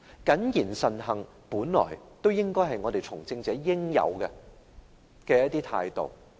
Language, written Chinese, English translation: Cantonese, 謹言慎行從來就是從政者的應有態度。, To be cautious with own words and actions is an attitude that all politicians should always hold